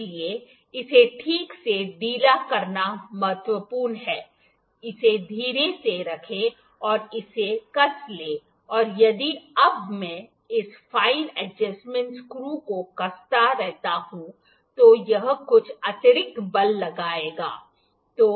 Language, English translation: Hindi, So, it is important to loosen it properly, place it gently and tighten this and if now I keep on tightening this fine adjustment screw it will exert some extra force